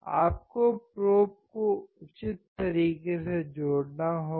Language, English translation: Hindi, You have to connect the probe in a proper manner